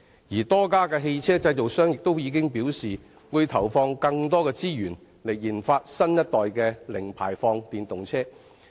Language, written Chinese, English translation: Cantonese, 而多間汽車製造商亦已表示，會投放更多資源研發新一代的零排放電動車。, Many vehicle manufacturers have also said that they will invest more resources in the research and development of a new - generation of EVs with zero - emissions